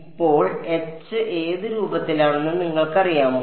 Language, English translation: Malayalam, Now H you know is of what form